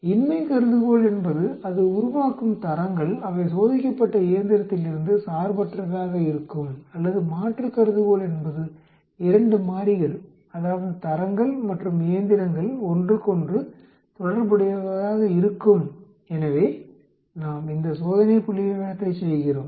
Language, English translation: Tamil, The null hypothesis is the grades that it produces are independent on the machine on which they were tested or the alternate will be the two variables that is the grades and the machines or correlated with each other